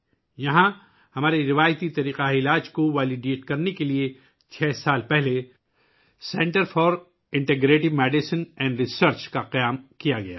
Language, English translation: Urdu, Here, the Center for Integrative Medicine and Research was established six years ago to validate our traditional medical practices